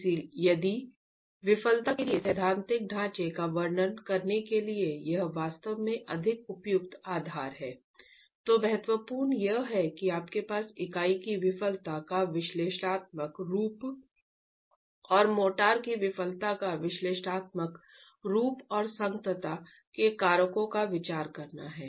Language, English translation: Hindi, So if this is really the more appropriate basis to describe a theoretical framework for the failure, then what is important is that you have an analytical form of the failure of the unit and an analytical form of the failure of the motor and considering factors of compatibility and equilibrium be able to use these two and write the final expression